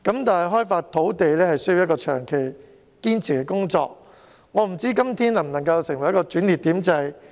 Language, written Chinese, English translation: Cantonese, 但開發土地是需要長期堅持的工作，我不知道今天能否成為一個轉捩點。, However land development is a long - term ongoing task and I wonder whether there can be a turning point these days